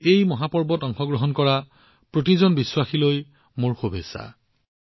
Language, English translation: Assamese, My best wishes to every devotee who is participating in this great festival